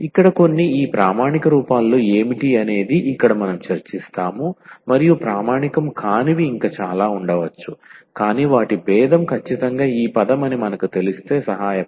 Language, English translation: Telugu, So, here what is what are those stand or some of these standard forms rather we will discuss here and there could be many more which are maybe non standard, but can help if we know them that whose differential is exactly this term